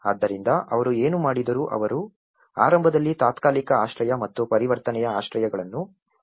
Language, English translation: Kannada, So, what they did was they initially have been supported the kind of temporary shelters and the transition shelters